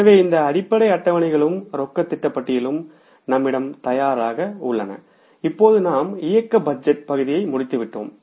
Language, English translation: Tamil, So, these basic schedules and one statement that is a cash budget is ready with us and now we will have to end up the operating budget part